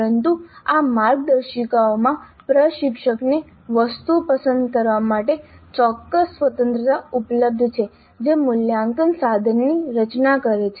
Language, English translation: Gujarati, But within these guidelines certain freedom certainly is available to the instructor to choose the items which constitute the assessment instrument